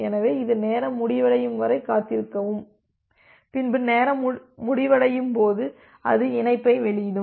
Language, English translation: Tamil, So, it will wait for the time out value whenever the timeout will occur it will release the connection